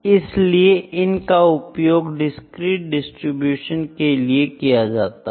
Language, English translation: Hindi, So, these are more used for the discrete distribution